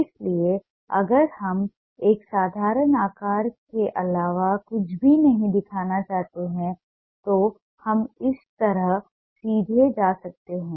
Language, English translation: Hindi, so if we want to show nothing but a simple shape, we can straight away go like that